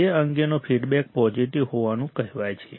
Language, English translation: Gujarati, The feedback it is said to be positive